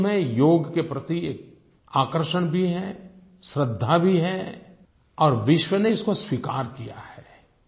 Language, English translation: Hindi, People are not only attracted to Yog the world over, they have implicit faith in it and the whole world has embraced it